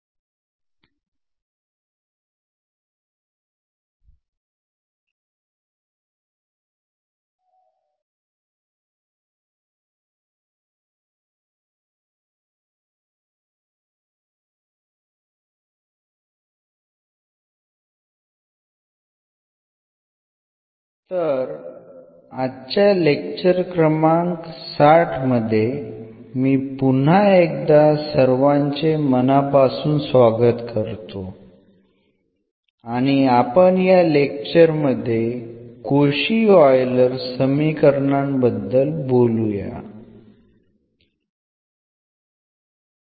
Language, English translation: Marathi, So, welcome back and this is lecture number 60 we will be talking about a Cauchy Euler equations